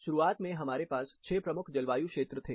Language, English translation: Hindi, Initially we had 6 major climate zones